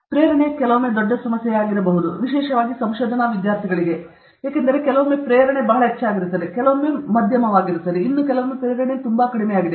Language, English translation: Kannada, Motivation, sometimes, can be a big problem, particularly for research students, because we go through phases where sometimes the motivation is very high, sometimes the motivation is moderate, sometimes the motivation is very low okay